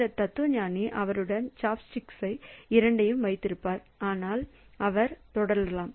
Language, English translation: Tamil, So then this philosopher will be having both the chopsticks available with him so he can proceed